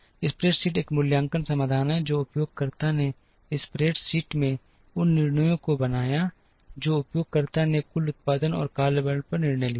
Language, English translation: Hindi, The spreadsheet was an evaluative solution, where the user made those decisions on in the spreadsheet the user made decisions on total production and workforce